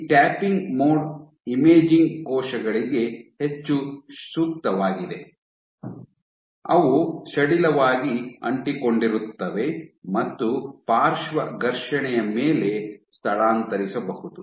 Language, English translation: Kannada, So, this is tapping mode is more suitable for imaging cells which are loosely adherent and can be dislodged upon lateral friction